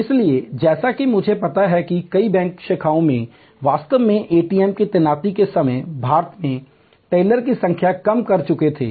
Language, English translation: Hindi, So, as I know that in a many bank branches they had actually reduce the number of tellers in India when ATM's where deployed